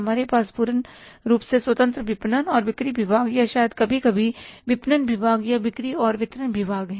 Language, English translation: Hindi, We have the full fledged independent marketing and sales department or maybe sometime marketing department sales and distribution department